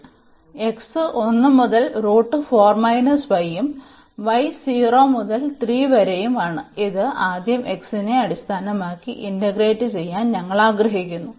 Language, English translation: Malayalam, So, x from 1 to this is square root 4 minus y and y is 0 to 3 and we want to integrate this with respect to x first